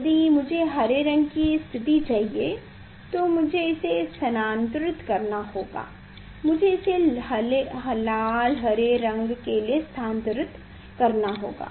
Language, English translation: Hindi, If I go green one green one, I have to move it; I have to move it for red green one